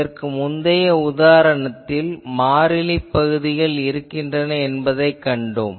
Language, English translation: Tamil, And we can actually in a previous example also we have seen there is a constant part